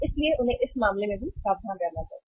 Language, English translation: Hindi, So they should also be careful in that case